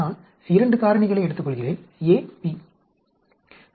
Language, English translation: Tamil, Suppose I take 2 factors a, b